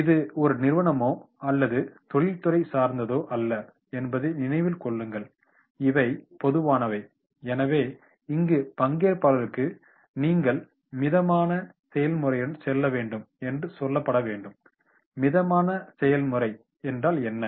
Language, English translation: Tamil, Remember that this is not a company or industry specific; these are the general, so therefore the participant should be told that is here that they have to go with the steep process, what is the steep process